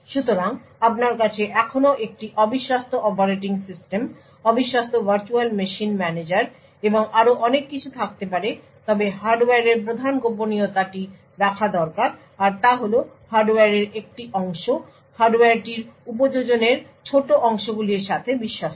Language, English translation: Bengali, So, you could still have an untrusted operating system, untrusted virtual machine managers and so on but what is required keep the key secret is just that the hardware a portion of the hardware is trusted along with small areas of the application